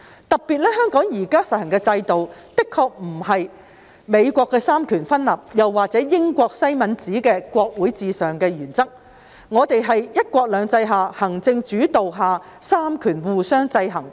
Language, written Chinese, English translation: Cantonese, 特別一提，香港現時實行的制度的確不是美國的三權分立，也不是英國西敏寺的國會至上原則，我們是在"一國兩制"及行政主導下的三權互相制衡。, In particular the system currently practised in Hong Kong is neither the separation of powers in the United States of America nor the principle of parliamentary sovereignty in UK . We have one country two systems and executive - led checks and balances among the powers